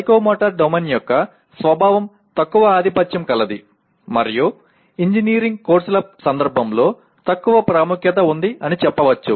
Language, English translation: Telugu, Whereas the nature of psychomotor domain is less dominant or you can say less important in the context of engineering courses